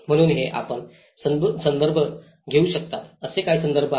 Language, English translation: Marathi, So, these are some of the references you can refer